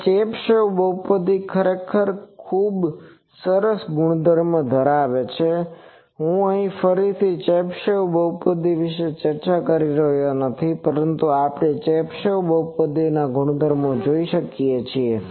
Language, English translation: Gujarati, Now, Chebyshev polynomials have a very nice property actually, I am not again discussing Chebyshev polynomial, but we can see the properties of Chebyshev polynomial